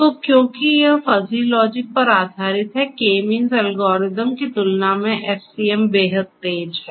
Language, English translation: Hindi, So, because it is based on fuzzy logic FCM is extremely faster, much faster compared to the K means algorithm